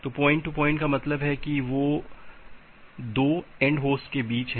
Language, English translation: Hindi, So, point to point means they are between 2 end host